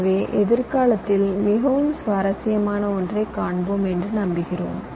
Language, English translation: Tamil, so lets hope that will see something very interesting in the near future